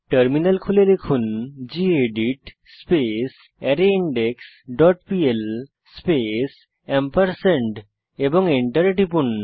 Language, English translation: Bengali, Open the terminal and type gedit arrayIndex dot pl space ampersand and press Enter